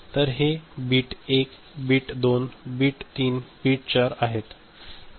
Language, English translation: Marathi, So, this is for bit 1, bit 2, bit 3, bit 4